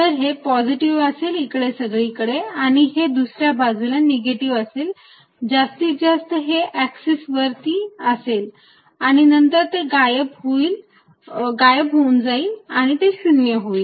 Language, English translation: Marathi, So, that it is positive all over here and negative on the other side maximum being along this axis and then it diminishes and becomes 0 here